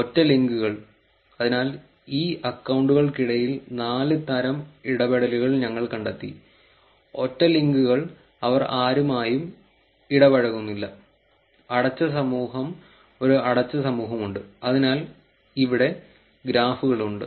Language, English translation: Malayalam, Single links, so we found four types of interactions among these accounts, single links they are not interacting with anybody, closed community there is a closed community, so, here are the graphs